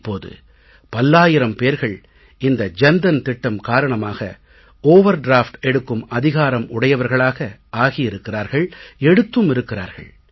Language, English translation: Tamil, Thousands of people under the Jan Dhan Yojana are now eligible to take an overdraft and they have availed it too